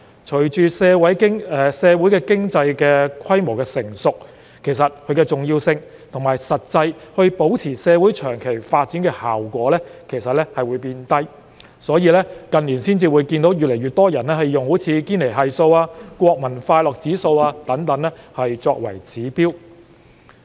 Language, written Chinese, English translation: Cantonese, 隨着社會經濟規模日漸成熟，其重要性及保持社會長期發展的實際效果會降低，因此，近年越來越多人採用堅尼系數、國民快樂指數等作為指標。, With a societys economy getting mature the significance of GDP growth and its actual effect on sustaining the long - term development of the society will diminish . This is why other indicators such as the Gini Coefficient and the Gross National Happiness Index have been more widely adopted in recent years